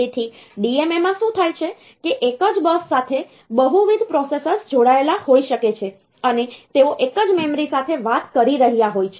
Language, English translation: Gujarati, So, in DMA what happens is that there may be multiple processors connected to the same bus and they are talking to the same memory